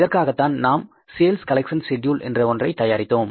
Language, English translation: Tamil, That's why we have prepared the sales collection schedule